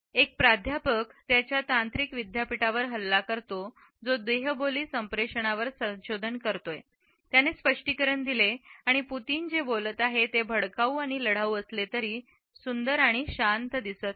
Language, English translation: Marathi, A professor attacks his tech university who researches non verbal communication explained and we see Putin’s spoke calmly even though what he was saying was pretty combative